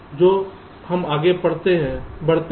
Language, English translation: Hindi, like that it goes on